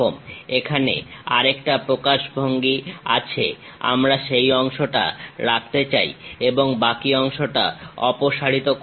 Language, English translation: Bengali, Another representation is here we would like to keep that part and remove the remaining part